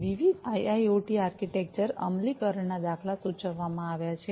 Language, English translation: Gujarati, Different IIoT architecture implementation patterns are have been proposed